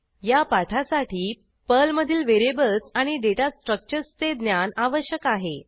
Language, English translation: Marathi, To practise this tutorial, you should have knowledge of Variables Data Structures in Perl